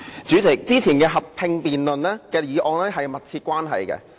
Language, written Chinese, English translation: Cantonese, 主席，以往進行合併辯論的議題是有密切關係的。, President the subjects for joint debates held previously were closely related